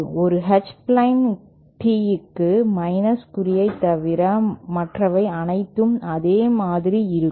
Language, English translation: Tamil, For an H plane tee there will be exactly the same, except these negative signs will not be there